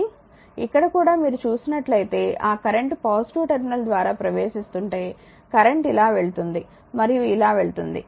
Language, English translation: Telugu, But here also if you look into that current is entering through the positive terminal because current goes like this goes like this and goes like this right